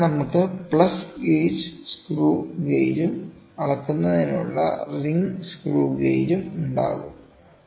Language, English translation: Malayalam, So, we will have plus gauge screw gauge as well as ring screw gauge for measuring